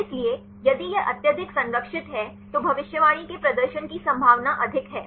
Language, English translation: Hindi, So, if it is highly conserved then the possibility of the prediction performance is high